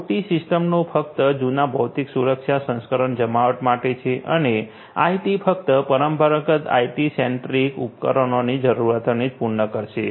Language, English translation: Gujarati, OT systems only deploy legacy physical security protections and IT ones will only cater to the requirements of the traditional IT centric equipments